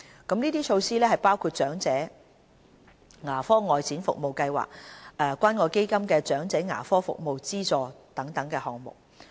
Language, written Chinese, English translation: Cantonese, 這些措施包括長者牙科外展服務計劃及關愛基金"長者牙科服務資助"等項目。, The initiatives include the Outreach Dental Care Programme for the Elderly and the Community Care Fund Elderly Dental Assistance Programme